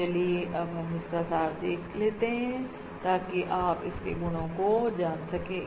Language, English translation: Hindi, So let me just summarise that once again so that you can just quickly recollect this property